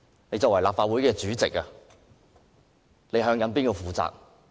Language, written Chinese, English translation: Cantonese, 你身為立法會主席，究竟向誰負責？, Being the President of the Legislative Council to whom should he be accountable?